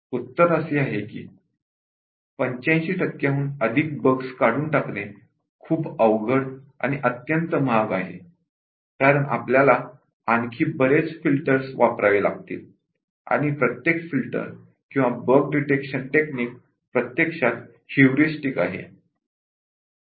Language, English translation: Marathi, The answer is that, is very difficult becomes extremely expensive to remove much more defects then 85 percent, because we would have to use many more filters and each filter or bug detection technique is actually heuristic